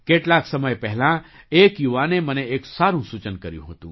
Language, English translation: Gujarati, Some time ago a young person had offered me a good suggestion